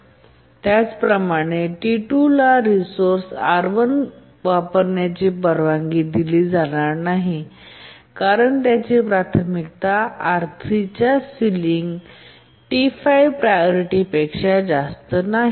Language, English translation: Marathi, And similarly T2 will not be allowed to use a resource R1 because its priority is not greater than the ceiling priority of R3